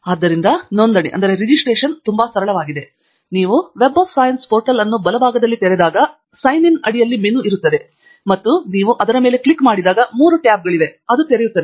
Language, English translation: Kannada, So, the registration is very simple, when you open the Web of Science portal on the right hand side top there is a menu, under Sign In, and when you click on that there are three tabs that will open